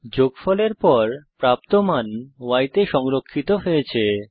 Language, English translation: Bengali, The value obtained after the addition is stored in y